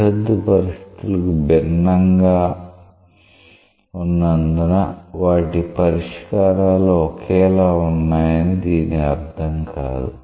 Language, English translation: Telugu, It does not mean that their solutions are same because boundary conditions are different